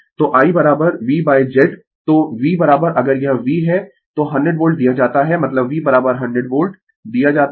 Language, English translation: Hindi, So, I is equal to V by Z so V is equal to if it is V is 100 volt is given means V is equal to 100 volts given